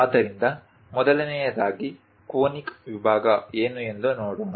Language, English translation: Kannada, So, first of all, let us look at what is a conic section